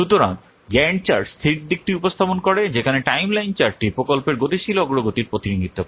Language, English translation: Bengali, So Grand Chart represents the static aspect whereas the timeline chart it represents the dynamic progress of the project